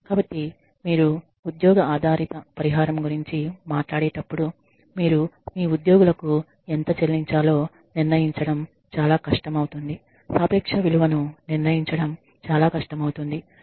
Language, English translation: Telugu, So, when you talk about job based compensation it becomes very difficult to determine how much you should pay your employees, the worth the relative worth becomes very difficult to determine